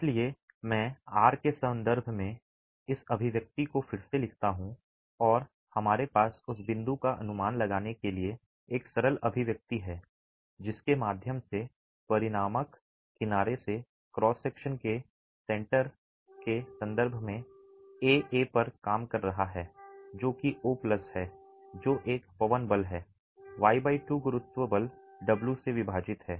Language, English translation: Hindi, So, I rewrite this expression in terms of R and we have a simple expression to estimate the point through which the resultant is acting at section AA in terms of the centroid of the cross section from the edge O which is A plus the wind force into y by 2 divided by the gravity force W